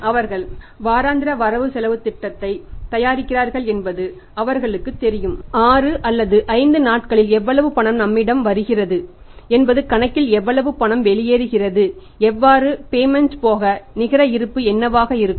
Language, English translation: Tamil, If they are very efficient and having the sufficient resources in that case what they do they prepare the weekly bugets they prepare the weekly budgets they know that in next 6 or 5 days how much cash is flowing into us how much cash is flowing out on account of the different payments what is a net balance is going to be with us